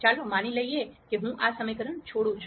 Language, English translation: Gujarati, Let us assume I drop this equation out